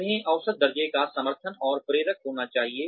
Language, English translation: Hindi, They should be measurable, meaningful, and motivational